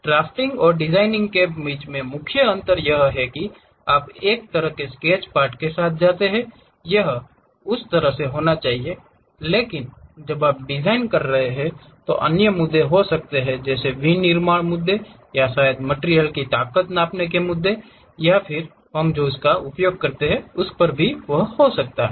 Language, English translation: Hindi, The main difference between drafting and designing is, you come up with a one kind of sketch part it has to be in that way, but when you are designing there might be other issues like manufacturing issues or perhaps in terms of strength of materials what we are using and so on